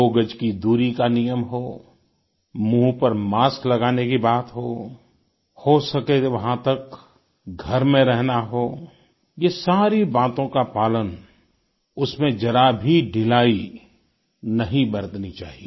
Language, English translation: Hindi, Whether it's the mandatory two yards distancing, wearing face masks or staying at home to the best extent possible, there should be no laxity on our part in complete adherence